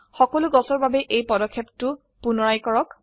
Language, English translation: Assamese, Repeat this step for all the trees